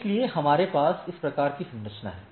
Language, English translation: Hindi, So, we have this sort of structure